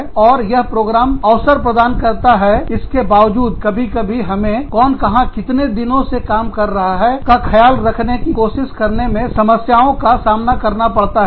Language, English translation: Hindi, And, despite the opportunities, that these programs offer, we sometimes face problems, trying to keep track of, who is working where, and for how long